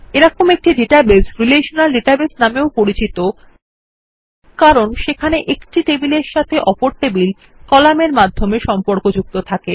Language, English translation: Bengali, Such a database is also called a relational database where the tables have relationships with each other using the columns